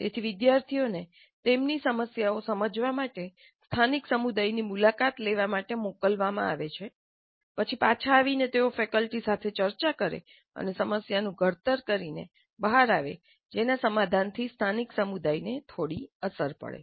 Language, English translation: Gujarati, So the students are being sent to visit the local communities to understand their problems, then come back and discuss with the faculty and come out with a formulation of a problem whose solution would have some bearing on the local community